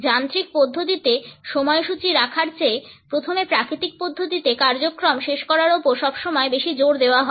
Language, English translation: Bengali, There is always more emphasis on finishing the natural agenda first rather than keeping the schedule in a mechanical manner